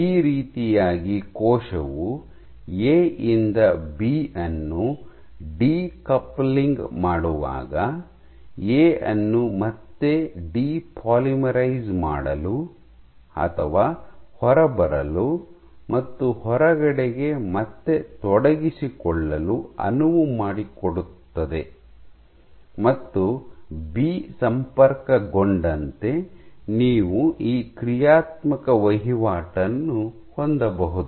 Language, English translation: Kannada, So, in this way when the cell migrates just decoupling of B from A can allow A to again depolymerize or come off and re engage the outside and then as B connects you can have this dynamic turnover